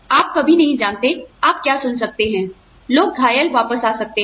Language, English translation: Hindi, That, you never know, what you might hear, people may come back maimed